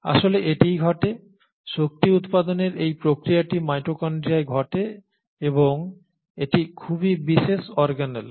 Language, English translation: Bengali, So this actually happens, this process of energy generation happens in the mitochondria and it is again a very specialised organelle